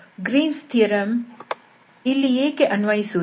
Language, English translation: Kannada, So, what is the problem why this Green’s theorem is not applicable